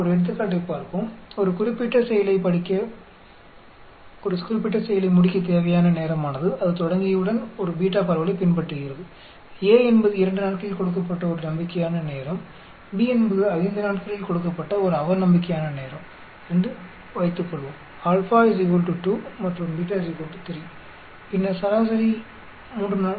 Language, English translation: Tamil, Let us look at an example, time necessary to complete any particular activity once it has been started follows a beta distribution, suppose A is optimistic time is given in 2 days, B is the pessimistic time given 5, alpha is equal to 2, beta is equal to 3, then the mean will be 3